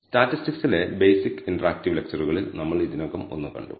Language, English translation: Malayalam, We have already seen one in the basic interactive lectures to statistics